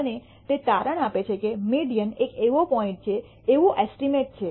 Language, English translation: Gujarati, And it turns out that the median is such a point, such an estimate